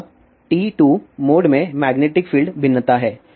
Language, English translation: Hindi, This is the electric field variation in TE 2 mode, this is the magnetic field variation in TE 2 mode